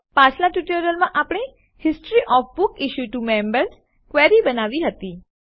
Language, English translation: Gujarati, In our previous tutorials, we created the History of Books Issued to Members query